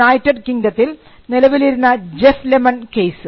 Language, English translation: Malayalam, This case was in the United Kingdom the Jeff lemon case